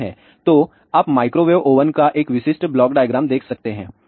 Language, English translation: Hindi, So, you can see a typical block diagram of a microwave oven